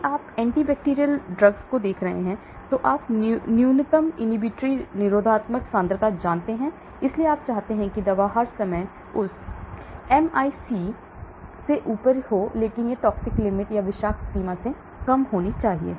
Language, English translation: Hindi, if you are looking at anti bacterial, you know minimum inhibitory concentration, so you want the drug all the time to be above that MIC but it should be less than the toxic limit